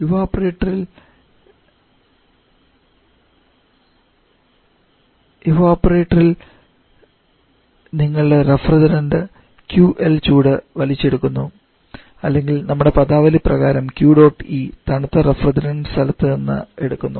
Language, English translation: Malayalam, In the evaporator your refrigerant is picking of the heat that is QL or as per the odd timing Q dot E from the cold refrigerated space